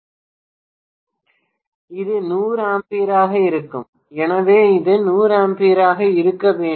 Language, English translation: Tamil, It will be 100 amperes, so this has to be 100 amperes